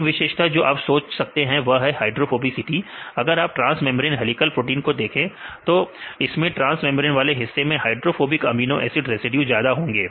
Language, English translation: Hindi, One of the features you can think about that is hydrophobicity because if you see the transmembrane helical proteins, the transmembrane regions are enriched with the hydrophobic residues